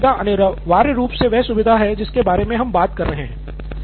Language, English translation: Hindi, So log feature would be essentially the feature that we are talking about